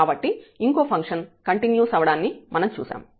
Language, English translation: Telugu, So, we have seen the other function is continuous